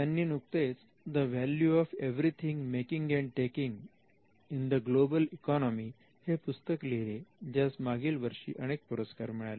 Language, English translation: Marathi, She has also recently written another book called the value of everything making and taking in the global economy, which is been shortlisted and which has won various awards last year